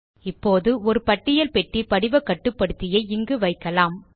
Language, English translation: Tamil, Now, we will place a List box form control here